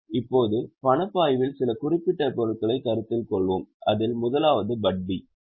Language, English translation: Tamil, Now let us consider some specific items in the cash flow of which the first one is interest